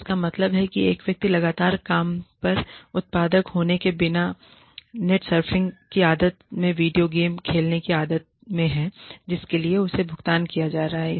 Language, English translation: Hindi, Which means, a person is constantly in the habit of playing video games, in the habit of surfing the net, without being productive at work, for which she or he is being paid